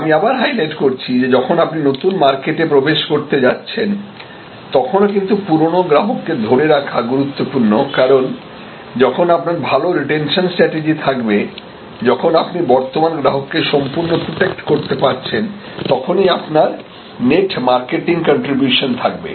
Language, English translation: Bengali, But, again highlighting that customer retention is again a key even in this case when you trying to go into new market, because it is only when you have good retention strategy only when you are completely protecting your current customer base you will have net marketing contribution this will become clear